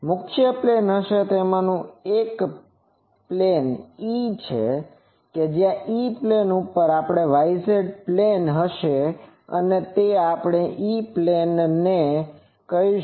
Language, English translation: Gujarati, Principal planes will be; so, one is E plane we call where the y z plane